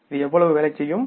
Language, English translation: Tamil, This amount is how much